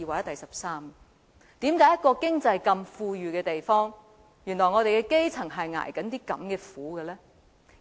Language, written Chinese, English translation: Cantonese, 為甚麼在一個經濟這麼富裕的地方，我們的基層竟然要如此捱苦？, Why would the grass roots in a place with an affluent economy have to suffer like this?